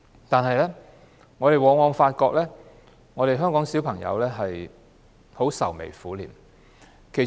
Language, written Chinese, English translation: Cantonese, 但是，我們往往發現，香港的小朋友愁眉苦臉。, However we often notice that children in Hong Kong are grim - faced